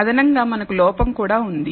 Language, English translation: Telugu, In addition we also have an error